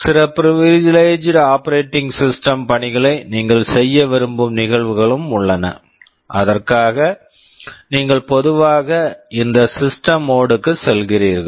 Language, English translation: Tamil, And there are instances where you want to run some privileged operating system tasks, and for that you typically go to this system mode